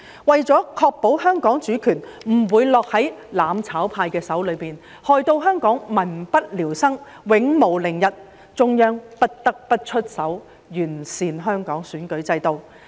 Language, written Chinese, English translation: Cantonese, 為了確保香港主權不會落在"攬炒派"手中，害到香港民不聊生，永無寧日，中央不得不出手完善香港選舉制度。, To ensure that the sovereignty of Hong Kong will not fall into the hands of the mutual destruction camp leaving the people of Hong Kong leading a miserable life and depriving them of peace the Central Authorities cannot but take action to improve the electoral system of Hong Kong